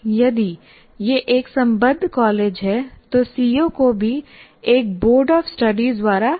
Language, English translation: Hindi, If it is an affiliated college, even the COs are written by the Boats of Studies